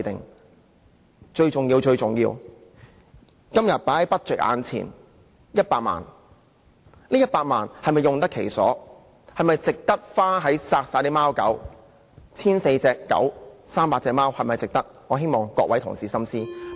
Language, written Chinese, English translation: Cantonese, 而最重要的是，今天在預算案中的這100萬元，究竟是否用得其所，是否值得花在殺害貓狗上，值得用於殺害 1,400 隻狗、300隻貓上呢？, Most importantly is the use of the 1 million mentioned in the Budget today really justified? . Is it justified to spend money on killing cats and dogs 1 400 dogs and 300 cats?